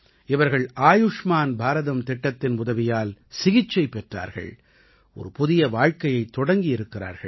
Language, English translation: Tamil, They got their treatment done with the help of Ayushman Bharat scheme and have started a new life